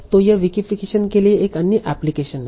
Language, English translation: Hindi, So this is also another application for this vacification